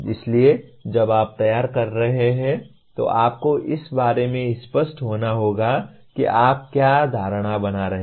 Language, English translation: Hindi, So when you are formulating, you have to be clear about what the assumptions that you are making